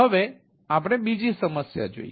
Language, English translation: Gujarati, we see another problem, right